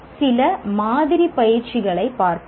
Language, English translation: Tamil, Let us look at some sample activities